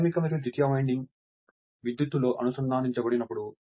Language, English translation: Telugu, When the when the primary and secondary winding are electrically connected